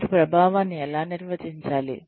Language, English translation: Telugu, How do you define effectiveness